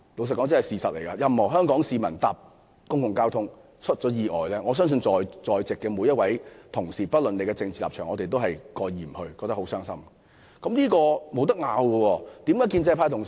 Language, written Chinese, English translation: Cantonese, 坦白說，如有任何香港市民因乘坐公共交通工具而發生意外，我相信，在席每位同事不論有何政治立場，都會感到傷心，這點毋庸置疑。, All Members regardless of their political affiliation frankly I believe all colleagues present regardless of their political stance will undoubtedly feel sad should any Hong Kong people get hurt while taking public transportation